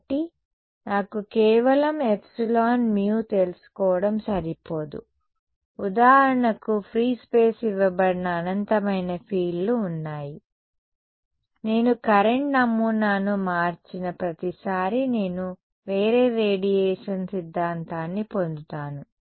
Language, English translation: Telugu, So, its not enough for me to just know epsilon, mu I mean there are infinite fields given free space for example, right every time I change the current pattern I get a different radiation theory